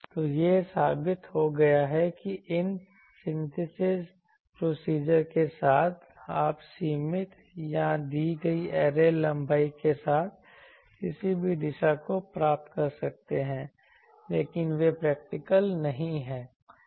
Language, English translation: Hindi, So, it has been proved that you can have with this synthesis procedure you can achieve any directivity with the a limited or given array length, but those are not practical